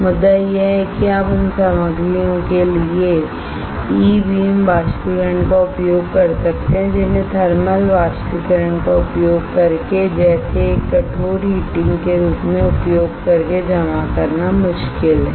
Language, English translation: Hindi, The point is that you can use E beam evaporation for the materials which are difficult to be deposited using thermal evaporator using as a stiff heating alright